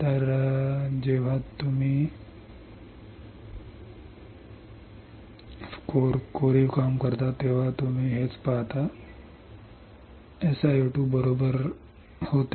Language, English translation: Marathi, So, this is what you see when you when you etch the etch SiO 2 right SiO 2 was here correct